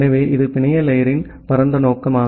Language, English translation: Tamil, So, that is the broad objective of the network layer